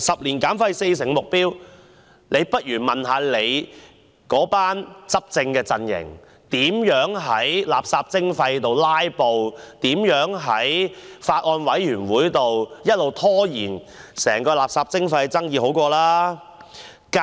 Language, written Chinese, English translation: Cantonese, 就此，政府不如問問其執政的陣營，如何在垃圾徵費的討論上"拉布"，如何在相關的法案委員會上一直拖延整個垃圾徵費的討論。, In this connection perhaps the Government should ask its governing team how it filibustered during the discussion on municipal solid waste charging and how it delayed the entire discussion on municipal solid waste charging in the relevant bills committee